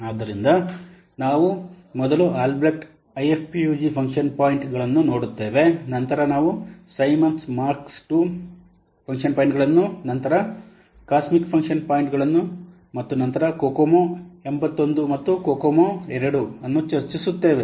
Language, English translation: Kannada, So, first one will see that AlbreastFUG function points, then we'll discuss Simmons Mark 2 function points, then cosmic function points and then Kokomo 81 and Kokomo 82